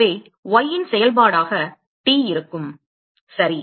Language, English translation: Tamil, So, that T as a function of y ok